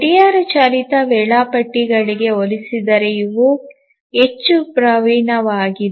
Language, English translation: Kannada, Compared to the clock driven schedulers, these are more proficient